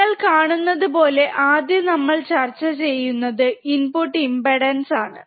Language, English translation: Malayalam, Ah so, if you see the first one that we will be discussing is the input impedance